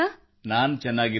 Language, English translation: Kannada, I am very fine